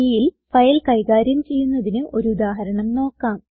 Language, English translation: Malayalam, Now let us see an example on file handling in C